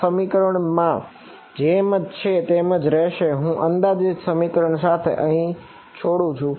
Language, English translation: Gujarati, This expression remains as it is and I am left over here with that approximate expressions